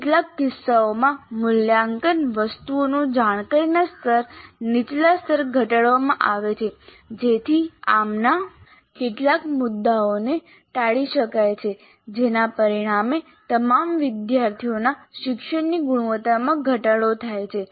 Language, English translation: Gujarati, And in some cases the cognitive levels of assessment items are reduced to lower levels to avoid some of these issues resulting in reducing the quality of learning of all students